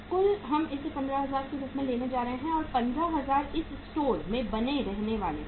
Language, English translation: Hindi, Total we are going to take this as 15,000 and 15,000 is going to remain in this uh store